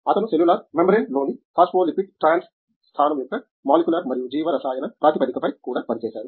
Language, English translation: Telugu, He also looks at molecular and biochemical basis of phospholipid trans location in cellular membranes